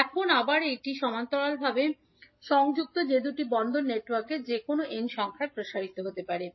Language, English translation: Bengali, Now, again this can be extended to any n number of two port networks which are connected in parallel